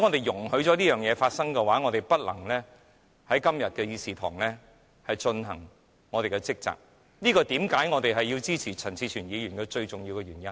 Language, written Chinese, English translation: Cantonese, 如果我們今天容許此事發生，即沒有在議事堂履行我們的職責，這是為何我們要支持陳志全議員的最重要原因。, This is unacceptable . If we allow this today that means we have not honoured our duty in the Chamber . This is the most important reason why we should support Mr CHAN Chi - chuen